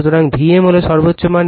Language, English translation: Bengali, So, v m is the peak value